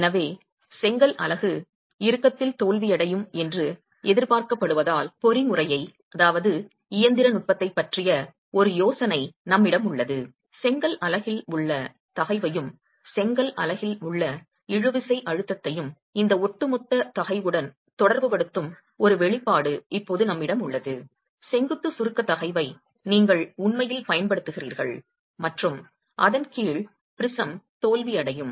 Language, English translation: Tamil, Since the brick unit is expected to fail in tension, we now have an expression that relates the stress in the brick unit, the tensile stress in the brick unit to this overall stress, the vertical compressive stress that you are actually applying and under which the prism is going to fail